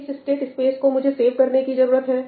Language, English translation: Hindi, What state space do I need to save